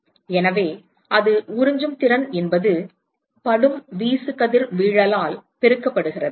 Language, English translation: Tamil, So, that is the absorptivity multiplied by the incident irradiation